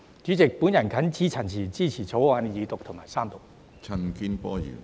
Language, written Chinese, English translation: Cantonese, 主席，我謹此陳辭，支持《條例草案》二讀及三讀。, With these remarks President I support the Second Reading and the Third Reading of the Bill